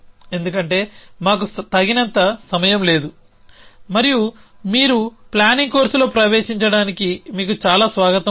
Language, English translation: Telugu, Because we do not have enough time and you have most welcome to come for the planning course you entrance it